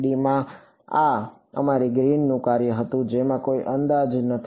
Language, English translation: Gujarati, In 3D this was our greens function with no approximations right